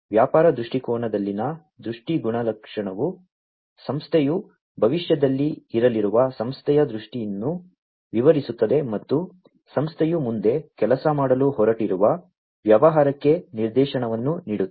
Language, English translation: Kannada, The vision attribute in the business viewpoint describes the vision of the organization where the organization is going to be in the future, the future state of it, and providing direction to the business towards which the organization is going to work further